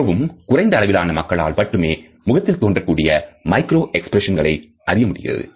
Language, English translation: Tamil, Very few people have the capability to successfully comprehend micro expressions on a face